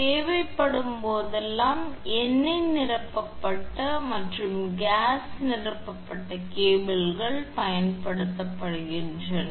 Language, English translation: Tamil, Whenever necessary, oil filled and gas filled cables are used